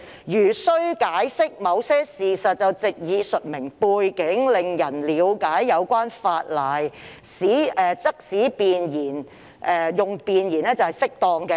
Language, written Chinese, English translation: Cantonese, 如需解釋某些事實，藉以述明背景，令人了解有關法例，則使用弁言是適當的。, A preamble is appropriate if an explanation of certain facts is necessary to provide a context in which to understand the legislation